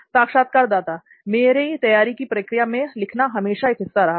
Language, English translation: Hindi, So writing was always part of my preparation process